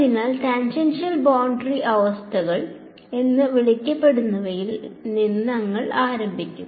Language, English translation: Malayalam, So, we will start with what are called as tangential boundary conditions ok